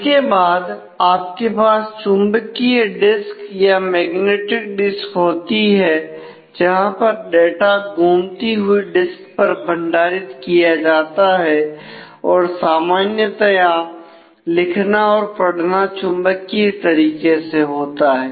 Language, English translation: Hindi, Then you have the magnetic disk where the data is stored on spinning disk and it is typically written and read magnetically